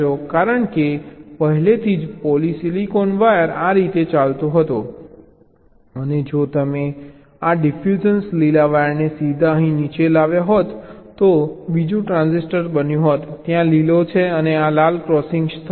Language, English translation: Gujarati, because already a polysilicon wire was running like this and and if you directly brought this diffusion green wire down here, then another transistor would have formed